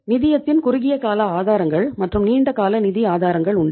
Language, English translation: Tamil, Short term sources of the finance and the long term sources of finance